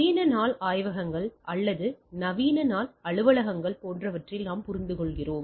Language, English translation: Tamil, As we understand that in our modern day labs or modern day offices etcetera